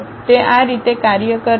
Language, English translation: Gujarati, That is the way it works